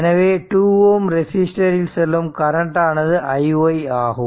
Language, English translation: Tamil, So, that is the current flowing to 2 ohm resistance that is i y t